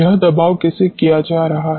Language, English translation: Hindi, How this suppression is being done